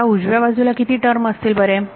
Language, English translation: Marathi, What happens to the right hand side, how many terms are going to be there